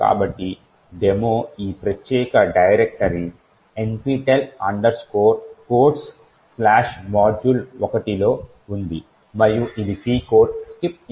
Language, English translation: Telugu, So, the demo is present in this particular directory nptel codes/ module 1 and it corresponds to this C code skip instruction